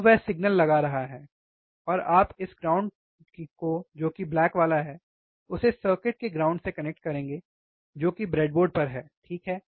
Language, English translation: Hindi, So, he is applying signal, and you will connect this ground which is black 1 to the ground of the circuit, that is on the pc on the breadboard, alright